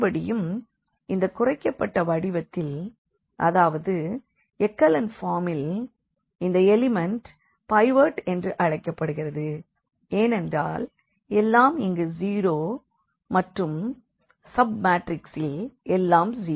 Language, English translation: Tamil, Again, in this reduced form in this echelon form which we call this matrix will be called or this element will be called a pivot because everything here is 0 everything here is 0 and in this sub matrix everything is 0 here